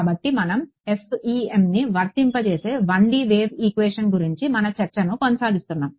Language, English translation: Telugu, So continuing our discussion of the 1D Wave Equation, into which we applied the FEM